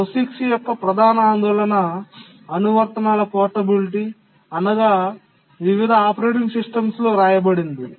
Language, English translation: Telugu, The major concern for POGICs is portability of applications written in different operating systems